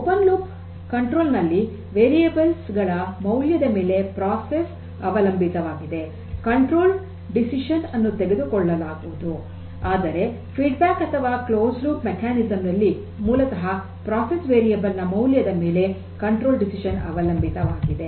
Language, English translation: Kannada, So, open loop control; open loop here the control decision is made independent of the process variable, control decision independent of the process variable whereas, in the feedback mechanism of the closed loop mechanism, the control decision basically depends on the measured value of the process variable